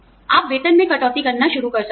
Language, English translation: Hindi, You could institute, pay cuts